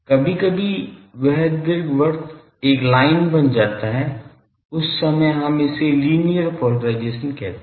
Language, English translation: Hindi, Sometimes that ellipse becomes a line that time we call it a linear polarisation